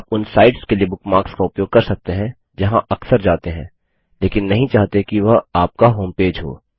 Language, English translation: Hindi, You can use the bookmarks bar for sites which you visit often, but dont want to have as your homepage